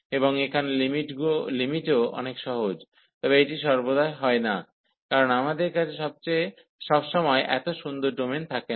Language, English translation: Bengali, And here the getting the limits are also much easier, but this is not always the case, because we do not have a such nice domain all the time